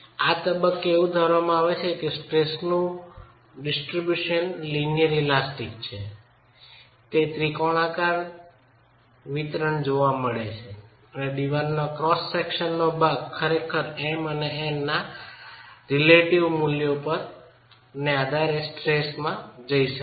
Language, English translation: Gujarati, So, what is actually happening is under, if we are, at this stage we are assuming that the distribution of stresses is linear elastic, triangular distribution is seen and part of the wall cross section can actually go into tension depending on the relative values of M and N